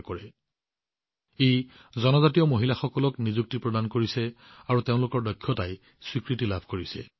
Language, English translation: Assamese, This is also providing employment to tribal women and their talent is also getting recognition